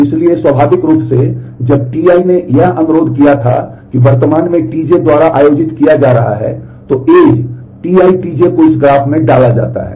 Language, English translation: Hindi, So, naturally when T i requested it item currently being held by T j, then the edge T i T j is inserted in the in this graph